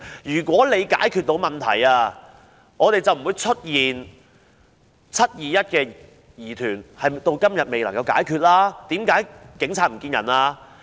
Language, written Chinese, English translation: Cantonese, 如果是可以解決問題的話，就不會出現"七二一"的疑團，此事至今仍未解決，為甚麼當時警察會"唔見人"呢？, Had the existing system been effective in dealing with these problems the mystery about the July 21 incident would not have arisen . This incident remains not solved to date . Why would the Police disappear back then?